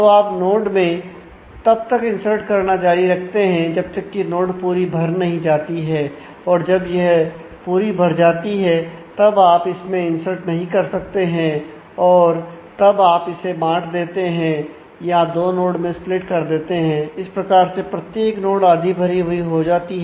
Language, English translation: Hindi, So, you keep on inserting in a node till it becomes full, when it becomes full you cannot insert any more you divide it and split it into two nodes